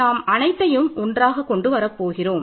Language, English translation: Tamil, So, I can put everything together